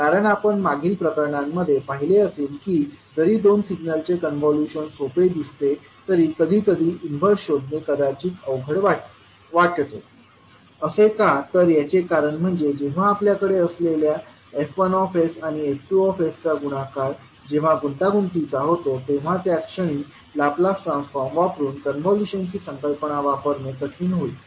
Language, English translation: Marathi, Because although this convolution of two signal which we saw in the previous cases looks simple but sometimes finding the inverse maybe tough, why because the moment when you have f1s and f2s the product of both is complicated then it would be difficult to utilise the concept of convolution using Laplace transform